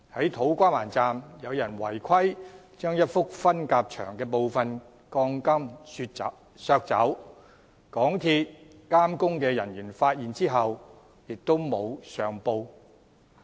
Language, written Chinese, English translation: Cantonese, 在土瓜灣站，有人違規削走一幅分隔牆的部分鋼筋，而港鐵公司監工人員發現後亦沒有上報。, At To Kwa Wan station though MTRCLs works supervision personnel found that some of the steel bars of a partition wall were cut and removed they did not report the matter